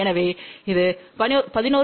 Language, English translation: Tamil, So, just remember it is 11